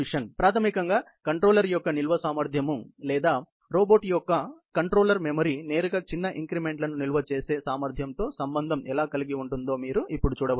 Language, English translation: Telugu, So, basically, you can see now that how the capacity storage of the controller or the control memory of the robot is directly, related to ability to store small increments